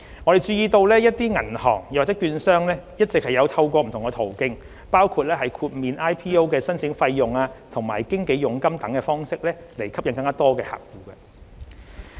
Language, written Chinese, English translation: Cantonese, 我注意到一些銀行或券商一直有透過不同途徑，包括豁免 IPO 的申請費用及經紀佣金等方式吸引更多客戶。, I notice that some banks or brokerage firms have been using different approaches including waiving the IPO application fees and brokerage commissions to attract more clients